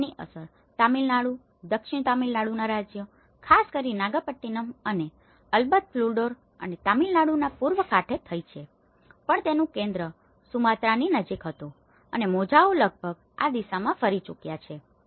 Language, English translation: Gujarati, And it has affected the Tamil Nadu, the southern state of Tamil Nadu especially in the Nagapattinam and of course the Cuddalore and the East Coast of the Tamil Nadu but the epicenter was somewhere near Sumatra and waves have traveled almost in this direction